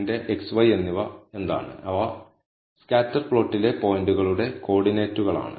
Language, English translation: Malayalam, So, what are my x and y, they are the coordinates of the points in the scatter plot